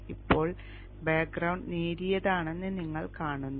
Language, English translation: Malayalam, Now you see the background is light